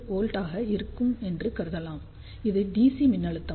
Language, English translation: Tamil, 3 volt, so that will give the dc voltage over here